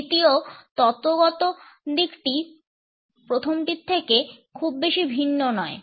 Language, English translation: Bengali, The second theoretical approach is in a way not very different from the first one